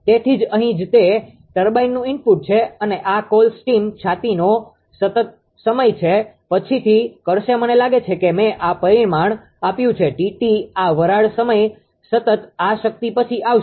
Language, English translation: Gujarati, So, that is why ah that is why here that is why here it is the input to the turbine and this is T t the steam chest time constant, will call later I think I given this parameter this steam time constant this power will come later